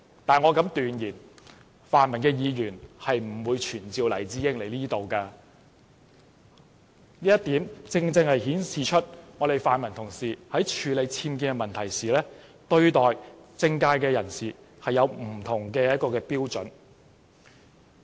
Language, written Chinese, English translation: Cantonese, 但我敢斷言，泛民的議員不會傳召黎智英到立法會席前，這正顯示泛民同事在處理僭建的問題時，對待不同的政界人士有不同標準。, But I dare say that the pan - democratic Members will not summon Jimmy LAI to attend before the Council . This clearly shows that in handling the case of UBWs our pan - democratic colleagues apply different standards when treating different people in the political arena